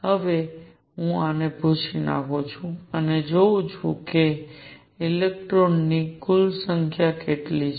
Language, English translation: Gujarati, Let me now erase this and see what the total number of electrons is